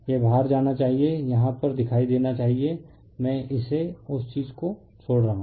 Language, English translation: Hindi, This you should go out appear on here, I am skipping it that thing, right